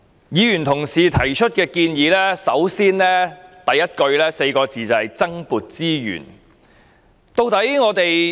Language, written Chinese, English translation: Cantonese, 議員所提的建議，開首便是4個字——增撥資源。, The recommendations put forth by Members all begin with these four words―allocation of additional resources